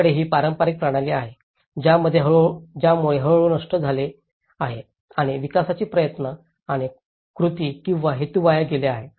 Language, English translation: Marathi, They have this traditional system, so that has gradually destroyed and the efforts and actions or intentions of the development have been wasted